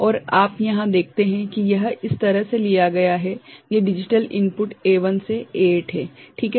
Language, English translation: Hindi, And, you see over here it is written in this manner these are digital input A1 to A8 ok